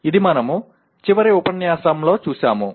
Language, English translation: Telugu, That is what we looked at in the last unit